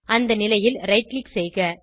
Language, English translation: Tamil, Right click on the position